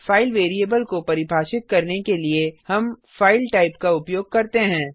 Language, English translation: Hindi, To define a file variable we use the type FILE